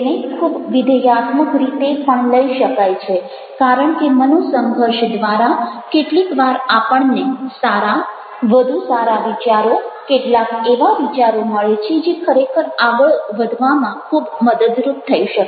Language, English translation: Gujarati, it can also be ah considered in a positive way because through conflicts we are getting some good ideas, some better ideas and ah some ideas that can be really very, very helpful to go ahead